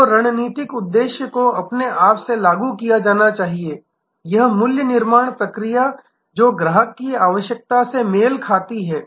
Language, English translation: Hindi, So, the strategic objective should embed in itself, this value creation process which matches the customer requirement segment wise